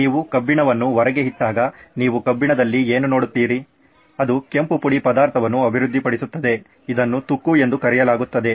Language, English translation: Kannada, What you see in iron when you leave iron out, it develops a red powdery substance that is called rust